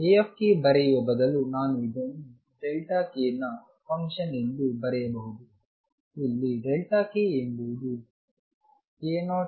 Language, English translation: Kannada, Instead of writing A k I can write this as a function of a delta k, where delta k is difference from k 0